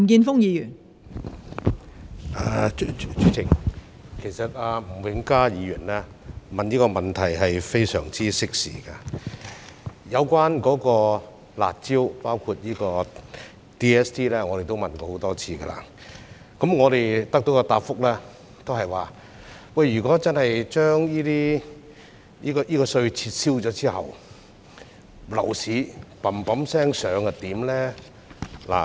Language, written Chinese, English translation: Cantonese, 代理主席，其實吳永嘉議員提出這項質詢非常適時，有關"辣招"，包括 DSD， 我們已經問過很多次，得到的答覆也是，如果真的撤銷這稅項，樓市飆升怎麼辦呢？, Deputy President in fact Mr Jimmy NG has raised a timely question . We have repeatedly raised questions on the harsh measures including the Double Stamp Duty . And we always get the same answer in return and that is What should be done if property prices hike again after withdrawing this tax?